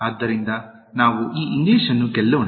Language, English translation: Kannada, So, let us win this English